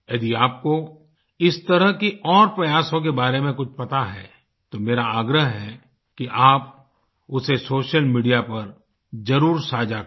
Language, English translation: Hindi, If you are aware of other such initiatives, I urge you to certainly share that on social media